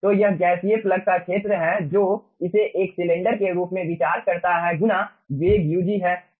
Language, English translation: Hindi, okay, so this is the area of the gaseous plug, considering it as a cylinder multiplied by its ah velocity, ug